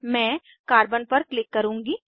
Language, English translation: Hindi, I will close the Carbon window